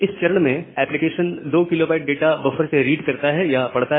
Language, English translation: Hindi, Now, at this stage, the application reads 2 kB of data from the buffer